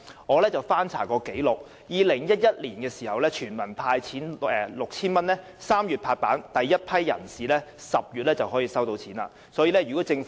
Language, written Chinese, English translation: Cantonese, 我曾翻查紀錄 ，2011 年全民派 6,000 元的決定於3月"拍板"，第一批人士在10月已取得款項。, I have looked up the records and learnt that the decision to hand out 6,000 to all members of the public in 2011 was approved in March and the first batch of people received the payment in October